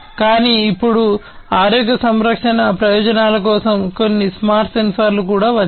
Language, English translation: Telugu, But now there are some smarter sensors for healthcare purposes that have also come up